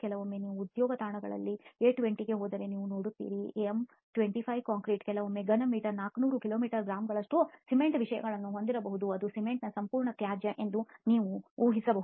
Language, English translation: Kannada, Sometimes you see if you go to job sites M20, M25 concrete can sometimes have cement contents upwards of 400 kilo grams per cubic meter you can imagine that is a complete waste of cement